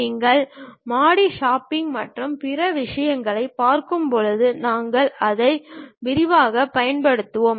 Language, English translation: Tamil, When you are really looking at floor shopping and other things, we will extensively use that